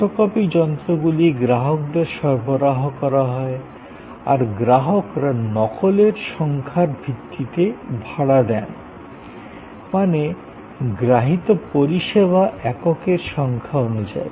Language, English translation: Bengali, So, photo copying machines are supplied at the customers premises, the customer pays on the basis of base of number of copies made; that means number of service units consumed